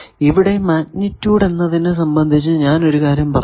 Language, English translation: Malayalam, So, you see that here about magnitude something I said